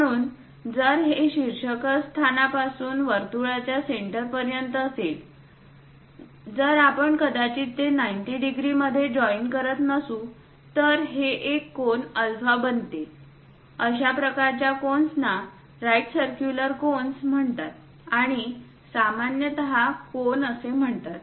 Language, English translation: Marathi, So, this one if from apex all the way to centre of the circle, if we are joining that may not be 90 degrees; it makes an angle alpha, such kind of cones are called right circular cones, and these are generally named as cones